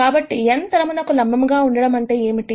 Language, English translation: Telugu, So, what does n being perpendicular to the plane mean